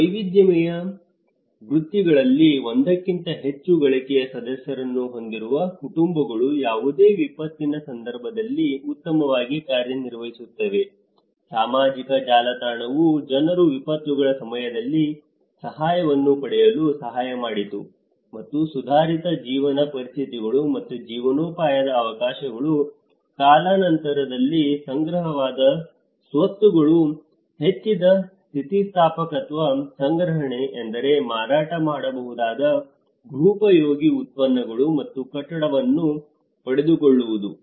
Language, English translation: Kannada, Households having more than one earning member in diversified professions did better during any event of disaster, social network helped people to get assistance during disasters and improved living conditions and livelihood opportunities, assets accumulated over time increased resilience, accumulation meant acquiring saleable household products and building materials as well as investing in children's education